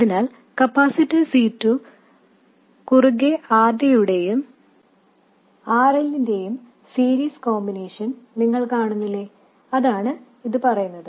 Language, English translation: Malayalam, So across the capacitor C2 you see the series combination of RD and RL and that is what this is saying